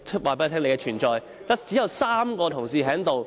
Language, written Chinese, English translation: Cantonese, 反對派只有3名同事在席。, There are only three Members from the opposition camp in this Chamber